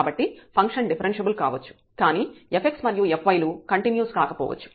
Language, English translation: Telugu, So, the function may be differentiable, but the f x and f y may not be continuous